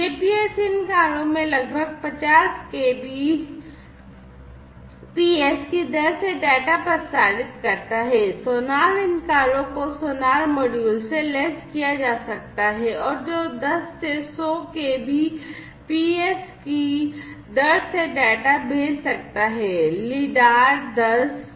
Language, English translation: Hindi, The GPS transmits data in these cars at the rate of roughly 50 kbps, sonar these cars could be equipped with sonar modules and which could be you know sending data at the rate of 10 to 100 kbps